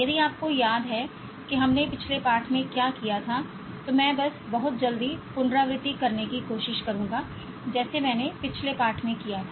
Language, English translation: Hindi, If you remember what we did in the previous one, I will just try to recapulate very quickly as what I did in the last lesson